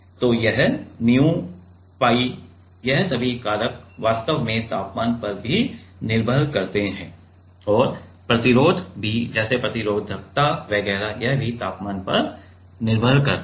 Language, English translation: Hindi, So, this nu, pi all this factors actually depends on temperature also and also the resistance itself like resistivity etcetera it also depends on temperature